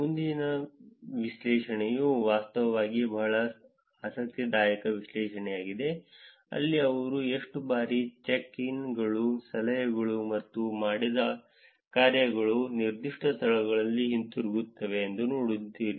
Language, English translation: Kannada, Next analysis is actually a very interesting analysis, where they saw how frequently that the check ins, the tips or the dones are coming back for that particular location